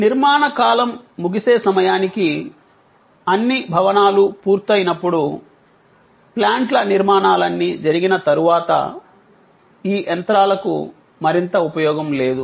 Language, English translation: Telugu, At the end of the construction period, when all the buildings were done, all the plant structures were done, these machines had no further use